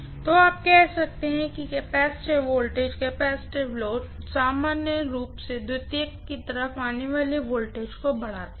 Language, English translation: Hindi, So, you can say that capacitive voltage, capacitive loads normally increase the voltage that comes out on the secondary side